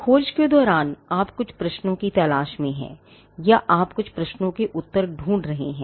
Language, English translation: Hindi, Now, during the search, you are looking for certain questions, or you are looking for answers to certain questions